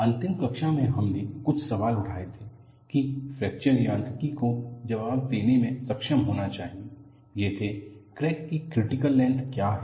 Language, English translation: Hindi, In the last class, we had raised a few questions that fracture mechanics should be able to answer; these were: what is a critical length of a crack